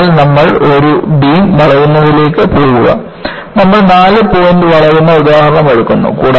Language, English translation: Malayalam, So, you go to bending of a beam and we take up four point bending